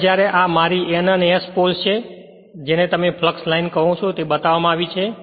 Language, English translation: Gujarati, Now, here when this is my N and S poles and thing is the your what you call this is the flux line is shown here right